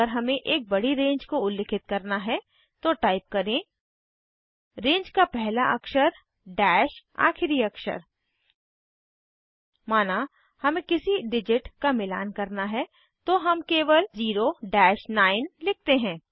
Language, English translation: Hindi, If we want to specify a large range then we write: First letter dash last letter of the range Suppose we like to match any digit we simply write [0 9]